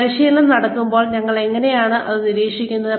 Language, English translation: Malayalam, How do we monitor the training, when it is going on